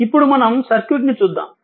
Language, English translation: Telugu, So, now let us come to the circuit